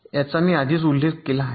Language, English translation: Marathi, so this already i have mentioned